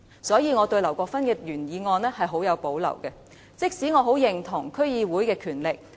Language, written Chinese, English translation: Cantonese, 因此，我對於劉國勳議員的原議案十分有保留，儘管我認同應該強化區議會的權力。, Hence I have great reservations about the original motion proposed by Mr LAU Kwok - fan even though I agree that the powers of DCs should be strengthened